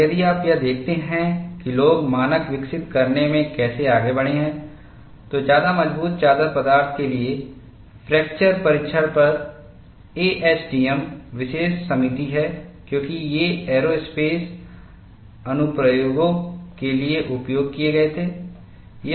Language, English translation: Hindi, And, if you look at how people have proceeded in evolving the standard for ASTM special committee on fracture testing of high strength sheet materials, because these were used for aerospace applications